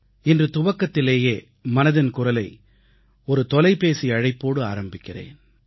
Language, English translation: Tamil, Let us begin today's Mann Ki Baat with a phone call